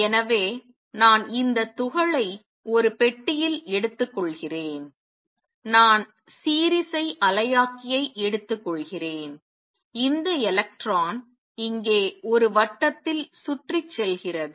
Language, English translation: Tamil, So, I will take this particle in a box, I will take the harmonic oscillator and I will take this electron going around in a circle here